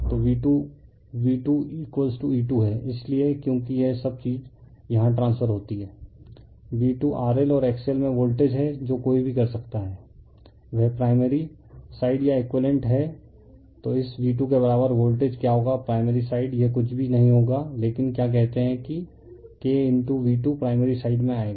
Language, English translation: Hindi, So, V 2 is V 2 is equal to your E 2 therefore, your because all this thing transfer here V 2 is the voltage across R L and X L to what you what one can your do is a primary side or equivalent one then what will be the equivalent voltage of your this V 2 to the primary side it will be nothing, but you are what you call that K into your V 2 will come to the primary side